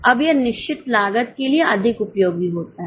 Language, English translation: Hindi, Now, this is more useful for fixed costs